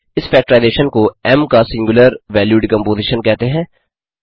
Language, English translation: Hindi, Such a factorization is called the singular value decomposition of M